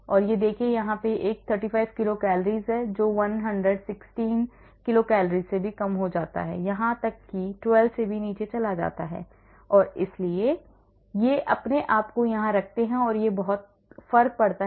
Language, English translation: Hindi, so look at this this is a 35 kilo cals goes down to 16 kcals even goes down to 12 and so these the way they hold themselves here that makes a lot of difference